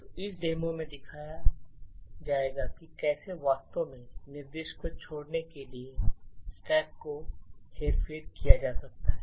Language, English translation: Hindi, So, in this demo will be showing how a stack can be manipulated to actually skip an instruction